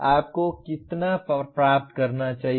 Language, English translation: Hindi, How much should you attain